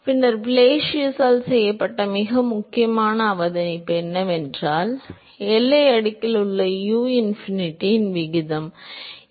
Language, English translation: Tamil, Then, the most important observation that was made by Blasius is that the ratio of u by uinfinity in the boundary layer, ok